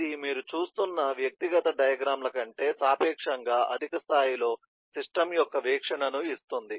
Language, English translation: Telugu, It gives you eh a view of the system at an lit, relatively higher level than individual diagrams that you are looking at